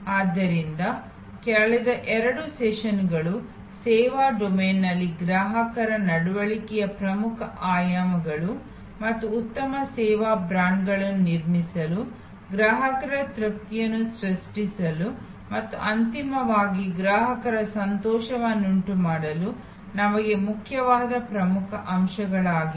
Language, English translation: Kannada, So, the last two sessions have shown as key dimensions of consumer behavior in the service domain and key factors that are important for us to build good service brands, create customers satisfaction and ultimately customer delight